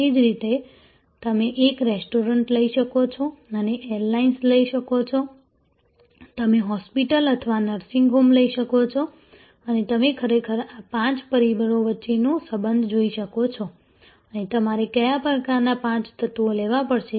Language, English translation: Gujarati, Similarly, you can take up a restaurant, you can take up and airlines, you can take up a hospital or nursing home and you can actually see the correlation between these five factors and what kind of five elements that will you have to